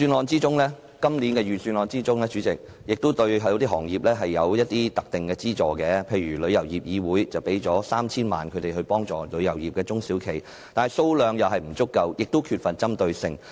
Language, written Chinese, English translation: Cantonese, 主席，今年的財政預算案對某些行業有一些特定的資助，例如向香港旅遊業議會撥款 3,000 萬元以幫助旅遊業的中小企，但金額並不足夠，亦缺乏針對性。, President the Budget this year provides specific subsidies to certain industries . For example the Government will allocate an additional funding of 30 million to the Travel Industry Council of Hong Kong to assist small and medium enterprises in the tourism industry but the funding is inadequate and not targeted